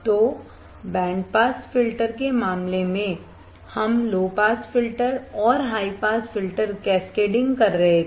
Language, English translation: Hindi, So, in case of band pass filter we were cascading low pass filter and high pass filter